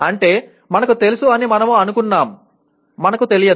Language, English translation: Telugu, That means what we thought we knew, we did not know